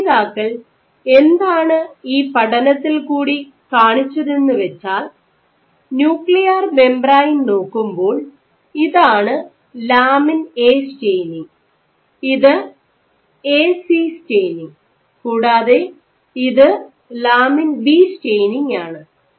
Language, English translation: Malayalam, So, what in this study the authors also showed, so when they look at the nuclear membrane, if this lets say if this is my lamin A staining, A/C staining I and if this is my lamin B staining ok